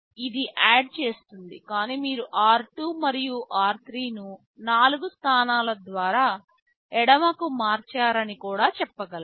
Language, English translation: Telugu, Iit adds, but I can also say you add r 2 and r 3 shifted left by 4 positions